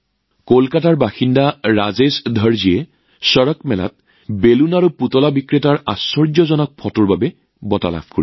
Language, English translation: Assamese, Rajesh Dharji, resident of Kolkata, won the award for his amazing photo of a balloon and toy seller at CharakMela